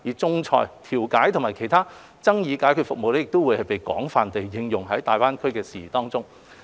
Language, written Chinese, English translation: Cantonese, 仲裁、調解及其他爭議解決服務亦將會被更廣泛地應用在有關大灣區的事宜中。, Arbitration mediation and other dispute resolution services will also be more widely used in GBA - related matters